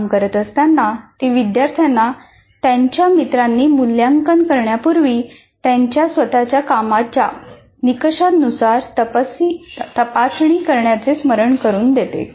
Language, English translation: Marathi, While they're working, she reminds students to check their own work against the criteria before the peer assessment